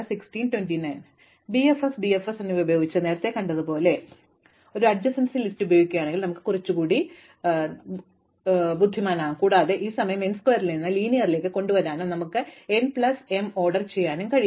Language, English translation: Malayalam, Now, we can as we saw with BFS and DFS, if we use an adjacency list we can be a little more clever and we can bring down this time to linear from n square we can bring it down to order n plus m